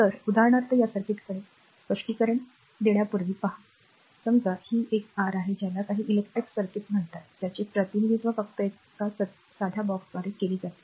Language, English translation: Marathi, So, for example, look at this circuit before explanation suppose this is a this is an this is a your what you call some electric circuit represented by your just a simple box, right